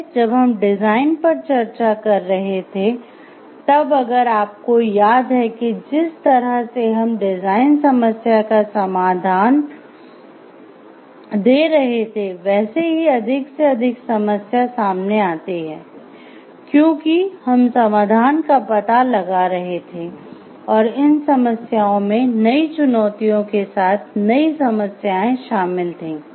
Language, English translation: Hindi, As we have discussed while we were discussing the design, if you remember like way we are providing a solution to a design problem more and more problem unfolds as we are finding out the solution and these problems have with newer problems with newer challenges